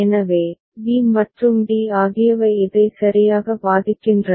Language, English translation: Tamil, So, b and d is also effecting this one alright